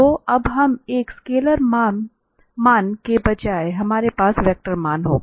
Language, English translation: Hindi, So, now instead of a scalar value we will have the vector value